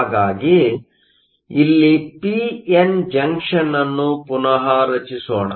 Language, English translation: Kannada, So, let me just redraw my p n junction here